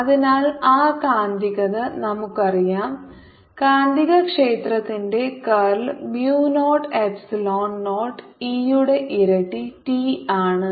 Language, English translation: Malayalam, so ah, we know the magnetic curl of magnetic field is mu, epsilon naught double, double t of e